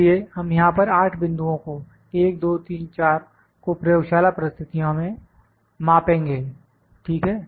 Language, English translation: Hindi, So, we will measure the 8 points here 1, 2, 3, 4, in the laboratory conditions 1, 2, 3, 4, ok